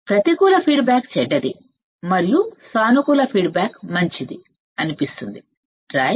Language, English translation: Telugu, So, negative feedback seems to be bad and positive feedback good right